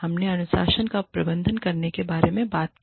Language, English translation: Hindi, We talked about, how to administer discipline